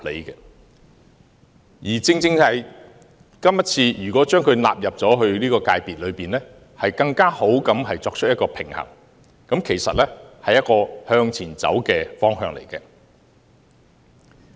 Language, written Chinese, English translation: Cantonese, 如果今次將商會納入出版界，反而能夠作出更好的平衡，其實是一個向前走的方向。, If HKPA was included in the Publication subsector it would result in a better balance which would actually be a change for the better